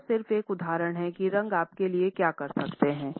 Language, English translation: Hindi, This is just one example of what one color can do for you